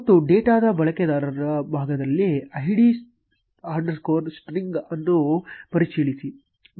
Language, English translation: Kannada, And check the id string in the user part of the data